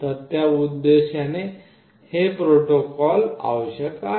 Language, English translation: Marathi, So, for that purpose this is required